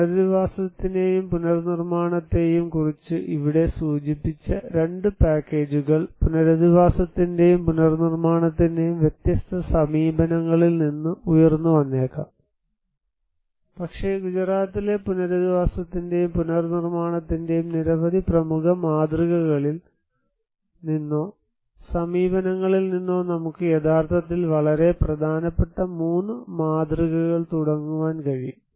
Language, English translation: Malayalam, Now, the 2 packages we mentioned here of rehabilitation and reconstructions, from that different approaches of rehabilitation and reconstruction may emerge, but we can actually take out of that many, 3 very prominent models or approaches of rehabilitation and reconstruction of the Gujarat